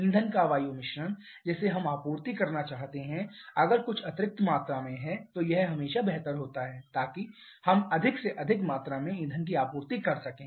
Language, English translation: Hindi, The fuel air mixture that we would like to supply there is some additional amount of time is always better so that we can supply more and more amount of fuel